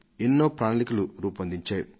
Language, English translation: Telugu, There were many options